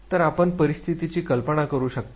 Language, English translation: Marathi, So, you can imagine situation